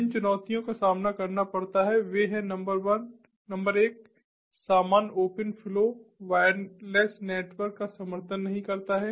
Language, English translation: Hindi, the challenges that are have to be addressed are that: number one, the general open flow does not support wireless network